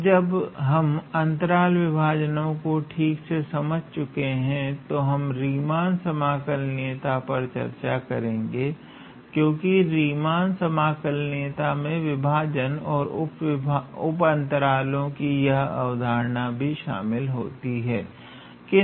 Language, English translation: Hindi, Now, that we have cleared out the concept of partition, we will basically look into the Riemann integrability, because Riemann integrability involves these concepts of partition and sub intervals